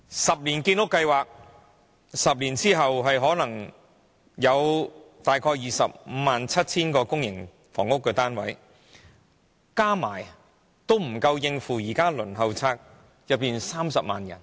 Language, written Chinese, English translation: Cantonese, 十年建屋計劃 ，10 年後可能約有 257,000 個公營房屋單位落成，但都不足以應付現時輪候冊上的30萬人。, According to the 10 - year housing production target about 257 000 PRH units may be produced 10 years from now but the number is still not enough to accommodate the 300 000 applicants on the Waiting List today